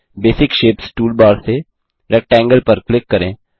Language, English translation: Hindi, From the Basic Shapes toolbar click on Rectangle